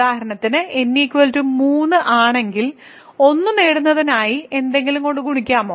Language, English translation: Malayalam, So, for example, if n is 3 can you multiply with something to get 1